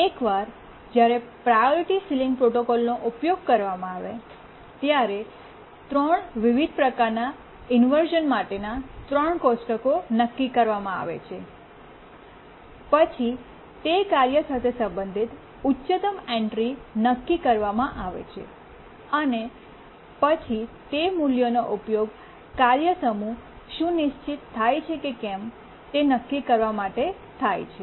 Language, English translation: Gujarati, So once we determine, develop the three tables for three different types of inversion when priority sealing protocol is used, we determine the highest entry corresponding to that task and use that value here and then determine whether the task set can be schedulable